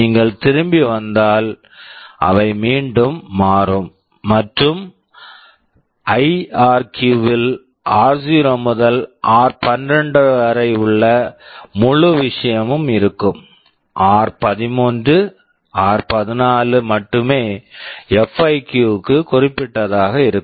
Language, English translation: Tamil, If you come back, they will again change and in IRQ r0 to r12 the whole thing is there, only r13 r14 are specific to FIQ